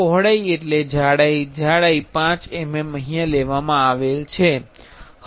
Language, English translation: Gujarati, Width means the thickness, thickness is 5 mm